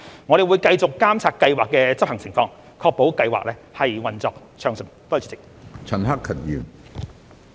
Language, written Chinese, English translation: Cantonese, 我們會繼續監察計劃的執行情況，確保計劃運作暢順。, We will continue to monitor the implementation of the Scheme to ensure that it operates smoothly